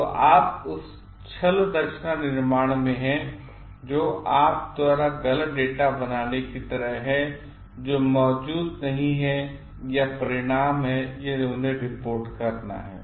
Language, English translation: Hindi, So, you are in the fabrication you are like making up data which does not exist or results or reporting them